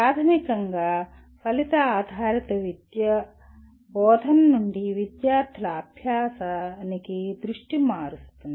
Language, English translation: Telugu, Fundamentally, Outcome Based Education shifts the focus from teaching to student learning